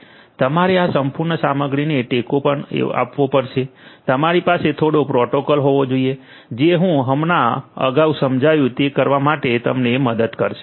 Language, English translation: Gujarati, You also have to support this entire stuff you have to have some protocol which is going to help you to do whatever I just explained earlier